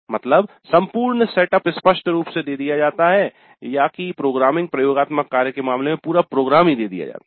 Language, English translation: Hindi, The whole setup is clearly written or in the case of programming laboratory the entire program is given